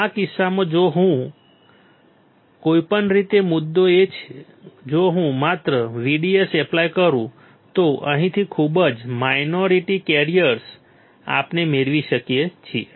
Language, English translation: Gujarati, In this case if I just apply VDS, then very minority carriers from here we can get